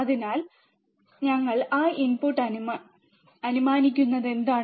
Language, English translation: Malayalam, So, in what we are assuming that input